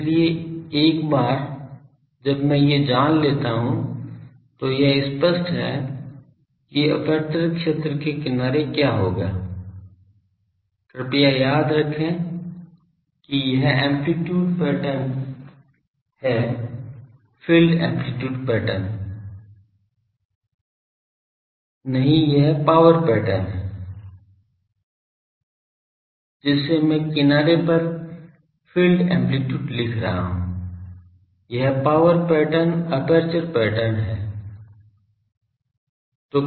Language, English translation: Hindi, So, once I know these it is obvious that what will be the at the edge the aperture field please remember this is amplitude pattern; field amplitude, no this is power pattern from that I am writing the field amplitude at the edge; this is the power pattern aperture pattern